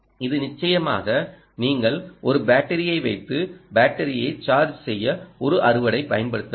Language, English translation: Tamil, this, obviously you have to put a battery and use a harvesting for charging the battery